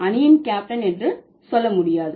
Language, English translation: Tamil, You cannot say the captain of the team